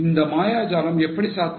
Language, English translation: Tamil, How was this magic possible